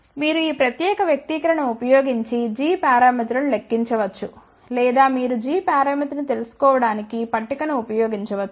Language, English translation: Telugu, You can calculate g parameters using this particular expression or you can use the table to find out the g parameter